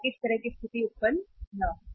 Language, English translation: Hindi, So that kind of the situation should not arise